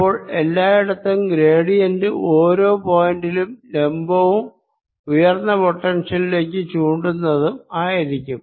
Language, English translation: Malayalam, one, then gradient will be perpendicular to this at each point and pointing towards higher potential everywhere